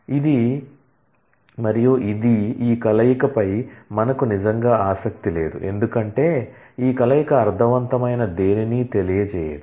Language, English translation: Telugu, ID is this and we are really not interested in this combination, because this combination does not convey anything meaningful